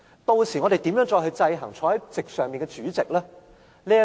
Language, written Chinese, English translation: Cantonese, 屆時我們如何再制衡坐在席上的主席？, How can we check the power of the President in his Chamber then?